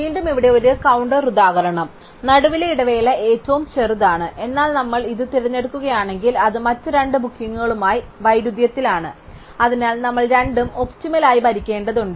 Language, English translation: Malayalam, Once again here is a counter example, the interval in the middle is the shortest one, but if we choose this it is in conflict with both the other bookings, so we have to rule both of them optimum